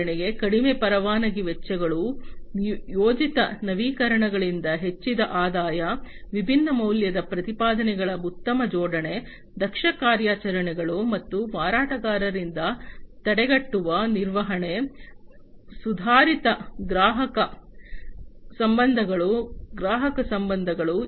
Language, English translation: Kannada, For example, reduced licensing costs, increased revenue from planned upgrades, better alignment of the different value propositions, efficient operations and preventive maintenance by vendors, improved customer relationships customer relations